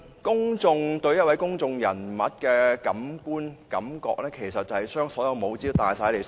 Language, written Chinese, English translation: Cantonese, 公眾對一位公眾人物的觀感、感覺，其實就是把所有帽子都算在內。, The impression and feeling of the public towards a public figure is to take into account all hats